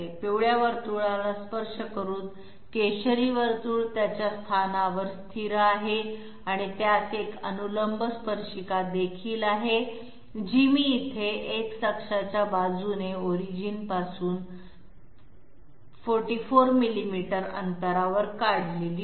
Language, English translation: Marathi, The orange circle is fixed in its position by touching the yellow circle and it is also having a vertical tangent which I have not drawn here at 44 millimeters away from the origin along X axis